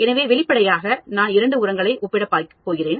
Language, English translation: Tamil, So obviously, I am going to compare two fertilizers